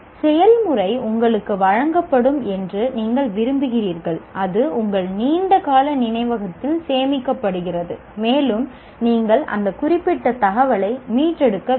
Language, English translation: Tamil, You want the procedure is given to you, it is stored in your long term memory and you have to retrieve that particular information and present